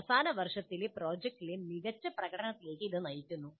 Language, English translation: Malayalam, And it leads to better performance in the final year project